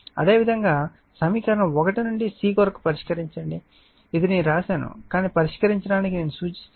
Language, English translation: Telugu, Similarly, from equation one solve for c this is I have written, but I suggest you to solve